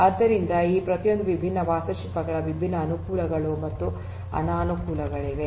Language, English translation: Kannada, So, there are different advantages and disadvantages of each of these different architectures